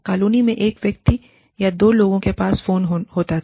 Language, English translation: Hindi, One person in the, or two people in the colony, had a phone